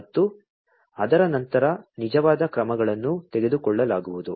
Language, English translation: Kannada, And thereafter, the actual actions are going to be taken